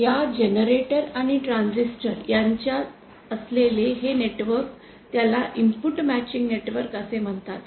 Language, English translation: Marathi, And this network which is there between the generator and the transistor is called the input matching network